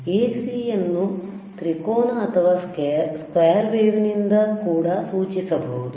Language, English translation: Kannada, We can also indicate AC by a triangle or by square wave